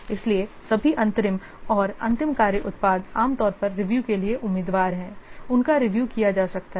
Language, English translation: Hindi, So all interim and final work products, they are usually candidates for review